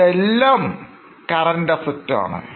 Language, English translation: Malayalam, What are the current assets